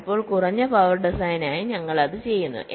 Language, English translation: Malayalam, sometimes where low power design, we do that ok